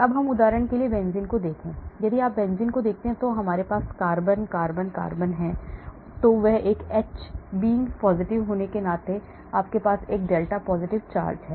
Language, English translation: Hindi, now let us look at benzene for example, if you look at benzene, so we have carbon, carbon, carbon, carbon so the H being positive you have a small delta positive charge